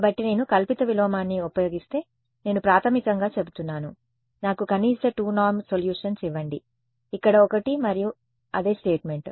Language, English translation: Telugu, So, I can if I use the pseudo inverse I am basically saying give me the minimum 2 norm solutions, where one and the same statement